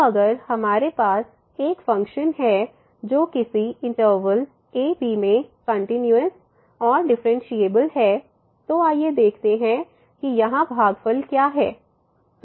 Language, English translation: Hindi, So, if we have a function which is continuous and differentiable in some interval and then let us take a look what is this quotient here